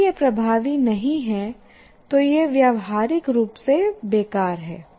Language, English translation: Hindi, If it is not effective, it is practically useless